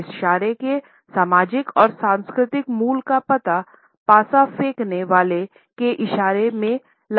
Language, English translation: Hindi, We can trace the social and cultural origins of this gesture in the gestures of a dice thrower